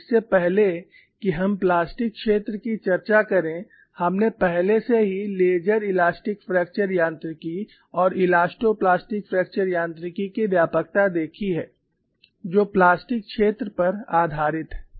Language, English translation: Hindi, And before we get into the discussion of plastic zone, we have already seen the range of linear elastic fracture mechanics and elastoplastic fracture mechanics, based on the plastic zone